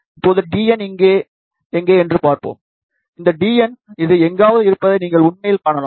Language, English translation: Tamil, Let us see now, where is d n, so you can actually see that d n is somewhere this particular distance here